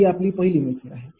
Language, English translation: Marathi, that ah your first method